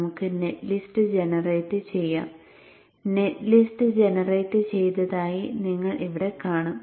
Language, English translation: Malayalam, So let us generate the net list and you would see here that the net list has been generated